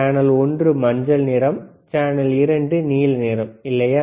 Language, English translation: Tamil, Channel one is yellow color, channel 2 is blue color, right